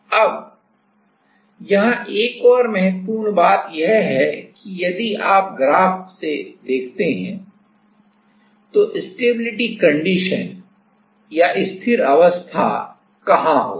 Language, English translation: Hindi, Now another important point is here that if you see from the graph, you see from the graph, then what is the stability condition